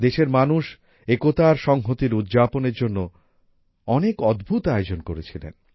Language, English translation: Bengali, The people of the country also organized many amazing events to celebrate unity and togetherness